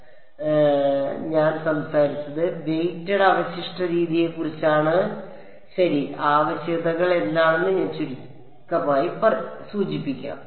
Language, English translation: Malayalam, So, what I spoke about, was the weighted residual method I will briefly mention what are the requirements on Wm ok